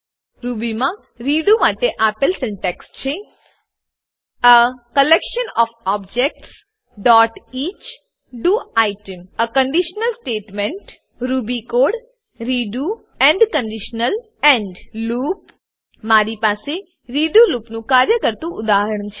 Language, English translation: Gujarati, The syntax for redo in Ruby is as follows: a collection of objects.each do item a conditional statement ruby code redo end conditional end loop I have a working example of the redo loop